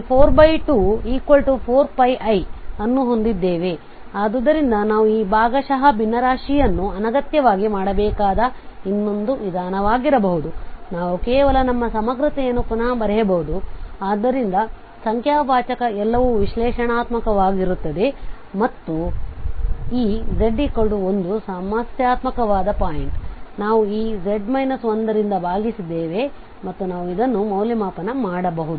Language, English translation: Kannada, So here we have the 4 over and then 1 that means 2 2, so this 2 2 gets cancel and we have 4 pi i, so this could be the another approach where we do not have to do this partial fraction unnecessarily, we can just simply rewrite our integrant so that the numerator everything is analytic and this z is equal to 1 was the problematic point, so we have divided by the z minus 1 and we can evaluate this